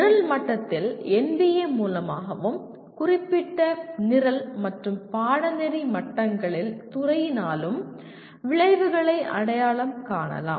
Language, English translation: Tamil, Outcomes are identified by NBA at the program level and by the department at specific program and course levels